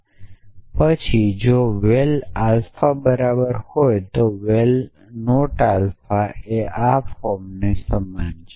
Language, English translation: Gujarati, And then if val alpha is equal to true then val not alpha is equal to form